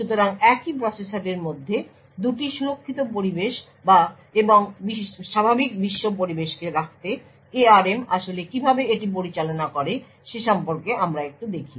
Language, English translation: Bengali, So, we look a little bit about how ARM actually manages this to have two environments secured and the normal world environment within the same processor